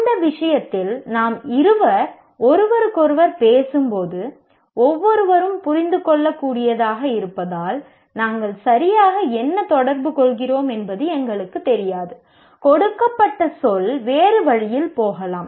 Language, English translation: Tamil, In that case, when two of us are talking to each other, then we don't know what exactly we are communicating because each one can understand a given word in a different way